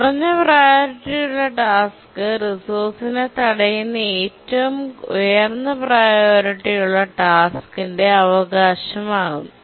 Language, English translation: Malayalam, Whenever a higher priority task blocks for the resource, the lower priority task inherits the priority of the highest priority task that's blocking at the resource